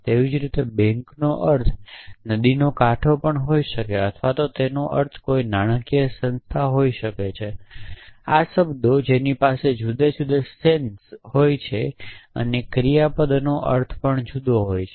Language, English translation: Gujarati, Likewise bank could mean a river bank or it could mean a financial institution this, only word which have different senses, but other things like verbs also have different sense